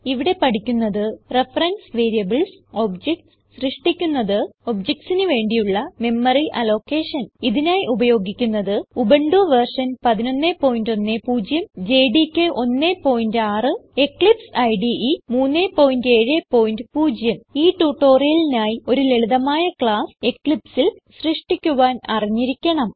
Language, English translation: Malayalam, In this tutorial we will learn about: Reference Variables Constructing objects and Memory Allocation for objects Here, we are using: Ubuntu 11.10 JDK 1.6 and Eclipse IDE 3.7.0 To follow this tutorial you must know how to create a simple class using Eclipse